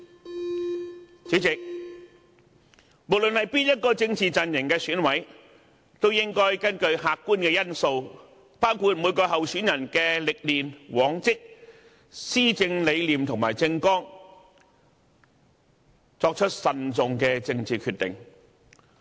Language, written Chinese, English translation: Cantonese, 代理主席，無論哪一個政治陣營的選委都應該根據客觀因素，包括每位候選人的歷練、往績、施政理念和政綱，作出慎重的政治決定。, Deputy President regardless of which political camp an EC member belongs to he should make a prudent political decision based on objective factors such as the experience past performance records governance principles and election manifesto of each candidate